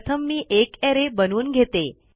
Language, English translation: Marathi, First I will create my own array